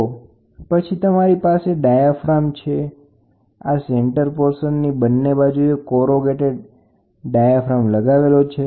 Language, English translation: Gujarati, So, then you will have yeah diaphragm this is a center portion and here are the corrugated diaphragms which are there on both sides